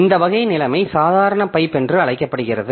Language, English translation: Tamil, So, this type of situation is called ordinary pipe